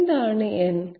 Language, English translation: Malayalam, What is n